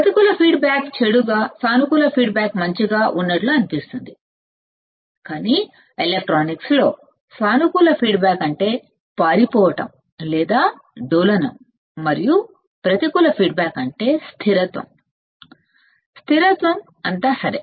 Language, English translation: Telugu, Negative feedback seems bad positive good, but in electronics positive feedback means run away or oscillation and negative feedback means stability; stability, all right